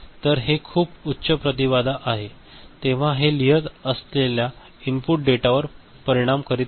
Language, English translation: Marathi, So, this is very high impedance so, it is not affecting the input data that is getting written in anyway ok